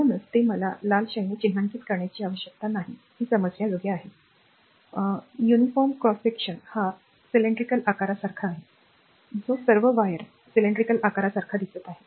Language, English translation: Marathi, So, this is your I need not mark it by red ink it is understandable, this is a your what you call uniform cross section is like a cylindrical shape that all wire it looks like a cylindrical shape